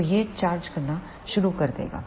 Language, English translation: Hindi, So, it will start charging